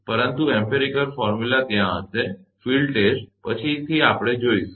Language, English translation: Gujarati, But some empirical formulas will be there, from the field test later we will see that